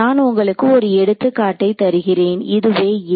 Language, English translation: Tamil, So, let me give you an example this is a